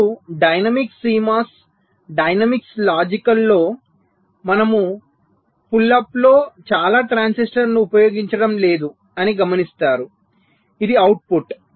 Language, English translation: Telugu, so you see, in a dynamics c mos dynamics logic we are not using many transistors in the pull up